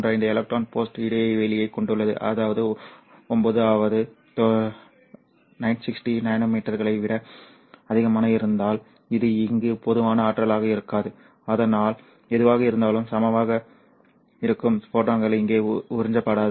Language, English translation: Tamil, 35 electron bolt, which means that for lambda that is greater than around 960 nanometers, this won't be sufficient energy here, right, so that whatever the photons that are incident will not be absorbed here